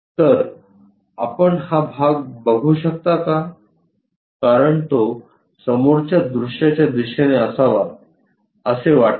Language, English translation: Marathi, So, can you visualize this part because it is supposed to be in the front view direction